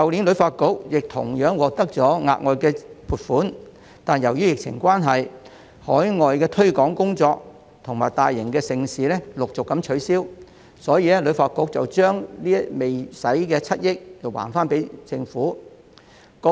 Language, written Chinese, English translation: Cantonese, 旅發局去年同樣獲得額外撥款，但由於疫情關係，海外推廣工作及大型盛事陸續取消，所以把未使用的7億元歸還政府。, However due to the pandemic overseas promotion and mega events have been cancelled one after another . Hence HKTB returned the unused 700 million to the Government